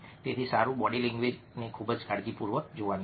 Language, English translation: Gujarati, so well, body language is to be looked at very carefully